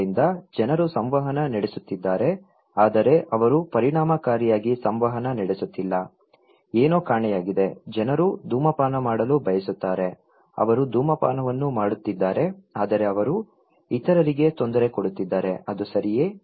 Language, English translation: Kannada, So, people are interacting but they are not effectively interacting, there is something missing, people want to smoke, they are smoking but they are bothering others, is it okay